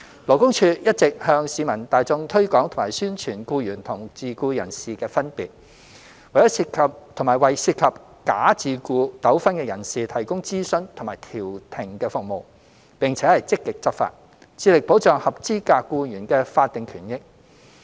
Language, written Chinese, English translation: Cantonese, 勞工處一直向市民大眾推廣及宣傳僱員與自僱人士的分別，為涉及假自僱糾紛的人士提供諮詢及調停服務，並且積極執法，致力保障合資格僱員的法定權益。, The Labour Department LD launches publicity programmes on an ongoing basis to educate the public on the difference between an employee and a self - employed person and provides consultation and mediation services for persons involved in bogus self - employment disputes . LD also actively enforces the law and strives to protect the statutory rights and interests of qualified employees